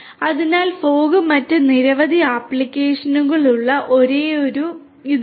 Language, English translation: Malayalam, So, this is not the only list there are many other different applications of fog